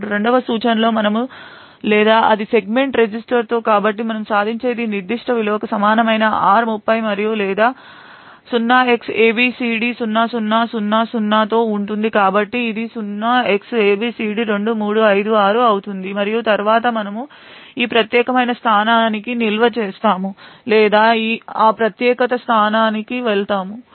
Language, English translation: Telugu, Now in the second instruction we then or it with the segment register so what we achieve is r30 equal to this particular value and or it with 0xabcd0000 so this would be 0xabcd2356 and then we simply store or jump to that particular to this particular location